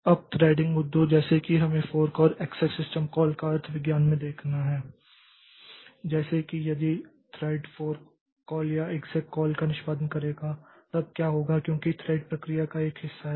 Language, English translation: Hindi, Now, trading issues like we have to look into the semantics of fork and exact system call like if what will happen if a threading thread executes a fork call or an exact call then because thread is a part of process so there are multiple threads within a process